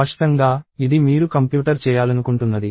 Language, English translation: Telugu, So clearly, this is something that you want the computer to do